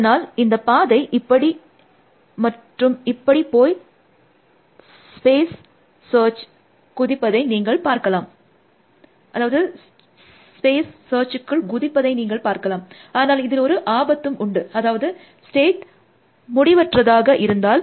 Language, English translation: Tamil, So, the you can see the path going like this, and like this, and like this, and like this, it dives into the search piece, there is a danger of course, that if the state space is infinite